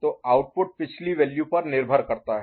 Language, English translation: Hindi, So, it depends on the previous value